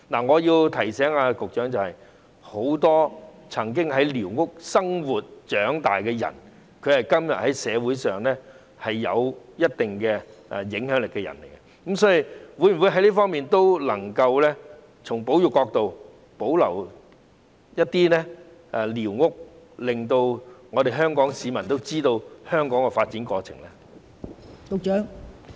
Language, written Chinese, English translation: Cantonese, 我要提醒局長，很多曾經在寮屋生活及長大的人，今天在社會上有一定的影響力，所以，局長能否從保育角度，保留一些寮屋，讓香港市民知道香港的發展過程？, I have to remind the Secretary that many of those who have lived and grown up in squatters have certain influence in society nowadays . Therefore can the Secretary retain some squatters from the perspective of conservation to enable Hong Kong people to know the development process of Hong Kong?